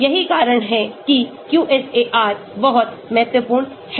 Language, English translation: Hindi, that is why QSAR is very important